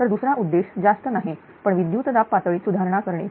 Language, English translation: Marathi, The secondary objective is do not much it improves the voltage level right